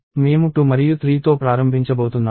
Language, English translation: Telugu, So, I am going to start with 2 and 3